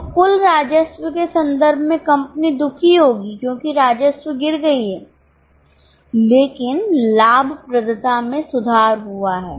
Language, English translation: Hindi, So, in terms of total revenue, company will be unhappy because its revenue has fallen but profitability has improved